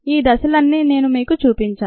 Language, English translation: Telugu, i have shown you all these steps